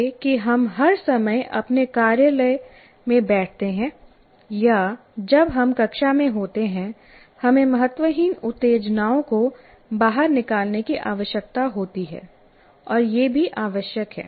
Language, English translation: Hindi, That we do all the time when we sit in our office or when we are in the classroom, we need to, it is required also to screen out unimportant stimuli